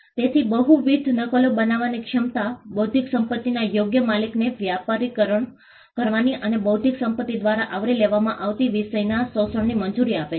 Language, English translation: Gujarati, So, the ability to create multiple copies allows the intellectual property right owner to commercialize and to exploit the subject matter covered by intellectual property